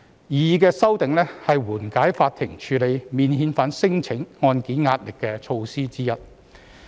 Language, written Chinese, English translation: Cantonese, 擬議的修訂，是緩解司法機構處理免遣返聲請案件的壓力的措施之一。, The proposed amendments are among the measures for easing the pressure on the Judiciary in handling cases about non - refoulement claims